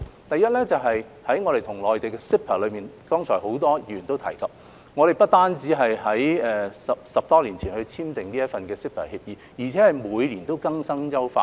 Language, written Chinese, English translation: Cantonese, 第一，在我們和內地所簽訂的 CEPA， 剛才很多議員也有提及，我們不單是在10多年前已經簽訂這份協議，而且每年都會更新及優化。, Firstly regarding CEPA signed with the Mainland which was mentioned by many Members just now while it was entered into more than a decade ago updates and enhancements will be made every year